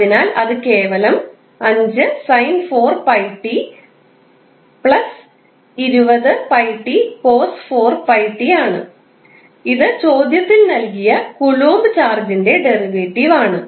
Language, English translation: Malayalam, So, that is simply 5 sin 4pi t plus 20 pi t cos 4 pi t that is the derivative of coulomb charge which was given in the question